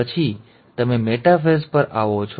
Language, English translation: Gujarati, Then you come to metaphase